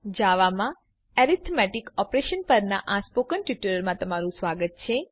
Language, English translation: Gujarati, Welcome to the tutorial on Arithmetic Operations in Java